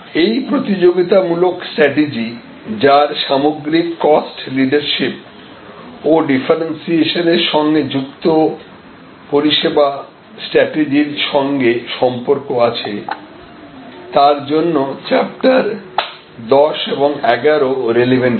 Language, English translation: Bengali, So, chapter 10 and 11 will be relevant for these competitive strategies that relate to overall cost leadership as well as the service strategy relating to differentiation